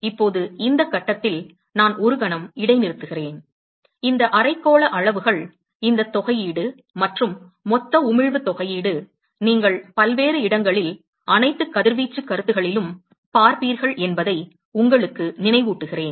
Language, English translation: Tamil, Now at this point I will pause for a moment, and remind you that, these hemispherical quantities, this integral, and the Total emission integral, you will see in many different places, in all over radiation concepts